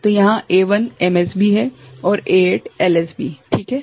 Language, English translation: Hindi, So, here A1 is MSB and A8 is LSB fine